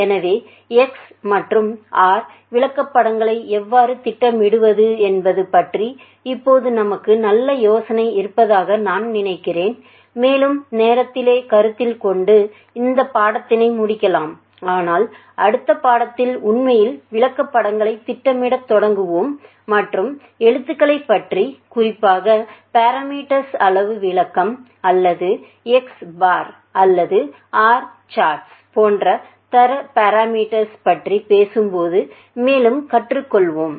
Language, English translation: Tamil, So, having said that I think we have a very good idea now of how to start plotting the X and R charts, and close probably module in the interest of time, but in the next module will actually start plotting the charts and learning the more about the chars a particularly when we are talking about quantitative description of parameter or quality parameter like X bar or R chats